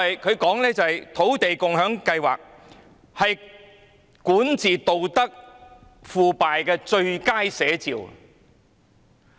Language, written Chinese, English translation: Cantonese, 他說土地共享先導計劃是管治道德腐敗的最佳寫照。, He said that the Land Sharing Pilot Scheme was the best depiction of the corruption of the Governments ruling ethics